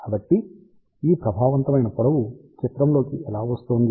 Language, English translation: Telugu, So, where is this effective length coming into picture